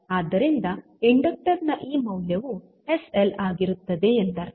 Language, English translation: Kannada, So, it means that this value of inductor will be sl